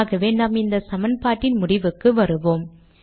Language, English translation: Tamil, Lets complete this equation